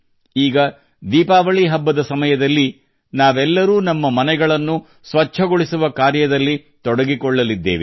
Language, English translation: Kannada, Now, during Diwali, we are all about to get involved in cleaning our houses